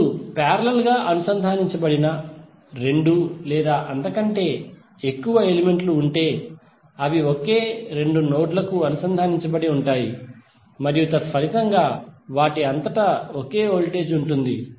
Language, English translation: Telugu, Now if there are two or more elements which are connected in parallel then they are connected to same two nodes and consequently have the same voltage across them